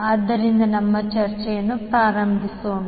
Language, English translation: Kannada, So let us start our discussion